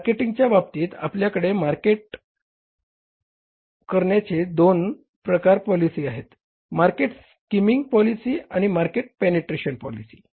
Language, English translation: Marathi, Now the decision you have to take is about fixing the selling price that in the marketing we have the two kind of the marketing policies, market skimming policy and the market penetration policy